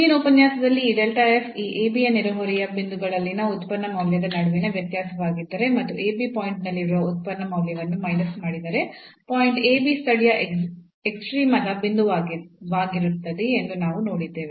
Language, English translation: Kannada, So, in the previous lecture we have seen that a point ab will be a point of local extrema, if this delta f which is the difference between the function value at the neighborhood points of this ab and minus this the function value at ab point